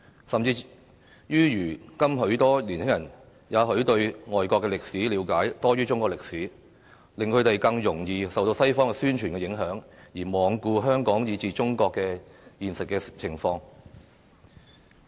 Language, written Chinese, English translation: Cantonese, 更甚者，如今許多年輕人也許對外國歷史了解多於中國歷史，令他們更容易受到西方宣傳的影響，而罔顧香港以至中國的現實情況。, Worse still nowadays as many young people probably know foreign history better than Chinese history they are more susceptible to the influence of Western propaganda and they pay no heed to the actual conditions of Hong Kong and China